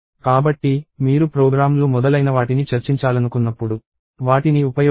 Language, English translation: Telugu, So, use them when you want to discuss programs and so on